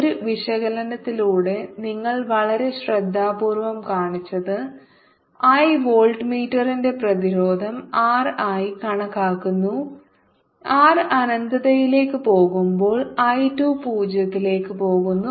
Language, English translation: Malayalam, he did a very thorough job of taking resistance of the voltmeter and then taking the limit that r was tending to infinity and i two was tending to zero